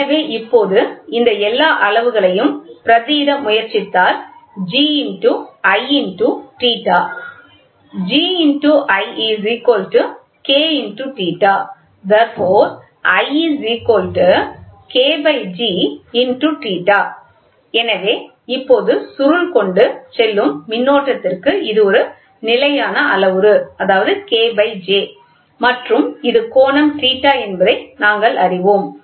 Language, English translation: Tamil, So, now, when we try to substitute all those things G into I equal to K into theta, so now, we know for the current whatever is carrying to the coil this is a constant parameter and this is an angle